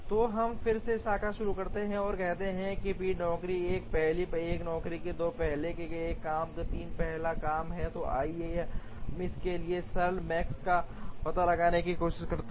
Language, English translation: Hindi, So, we again start the branch and bound tree by saying, job 1 is the first one job 2 is the first one job 3 is the first job, so let us try and find out the L max for this